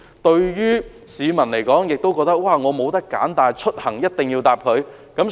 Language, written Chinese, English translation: Cantonese, 對市民來說，他們也沒有選擇，因為他們出行一定要乘搭港鐵。, For the public they do not have any alternatives . They have to take the MTR as their means of transport